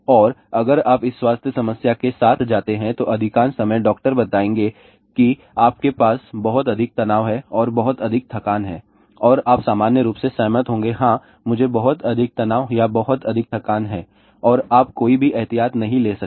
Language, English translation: Hindi, And if you go with these health problem , majority of the time doctors will tell you you have too much stress and too much strain and you will in general agree yeah yeah, I have too much strain too much stress or too much strain and you may not take any precaution